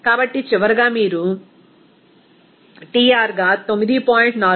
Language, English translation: Telugu, So, finally, you are getting 9